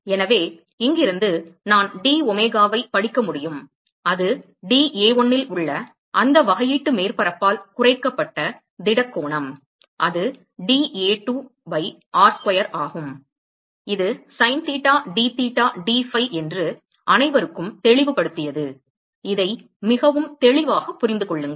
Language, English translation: Tamil, So, from here I can read out that d omega which is the solid angle which is subtended by that differential surface on dA1 is given by dA2 by r square which is sin theta dtheta d phi that cleared everyone yes understand this very clearly ok